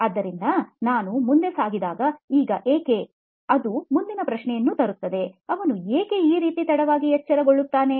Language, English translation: Kannada, So with this when we carry forward, now why, it brings the next question, why do they wake up late like this